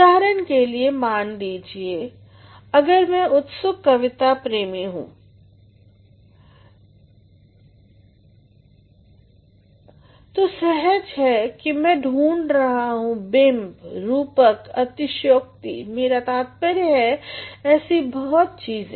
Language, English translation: Hindi, Say, for example, if I am an avid lover of poetry naturally I would look for images, metaphors, exaggerations, I mean so, many things